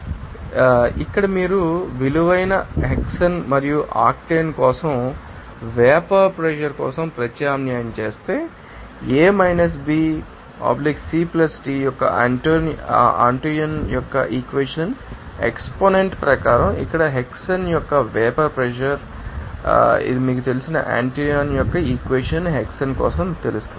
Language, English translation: Telugu, So, here if you substitute this value for vapor pressure for hexane and octane, what is the vapor pressure of you know, hexane here as per Antoine’s equation exponent of you know A–B/(C+T), this is your know Antonio's equation for that component, you know that for hexane